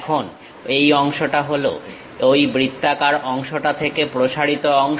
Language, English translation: Bengali, Now, this part is protruded part from that circular one